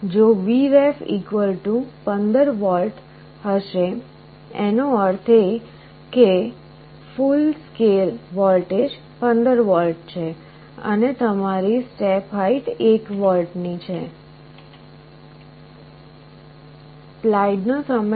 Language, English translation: Gujarati, If Vref = 15 V; that means, the full scale voltage is 15V then your step height will be 1 volt